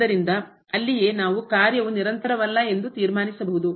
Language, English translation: Kannada, So, there itself we can conclude that the function is not continuous